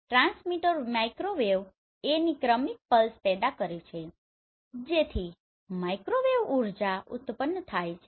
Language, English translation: Gujarati, The transmitter generate successive pulses of microwave A so the microwave energy right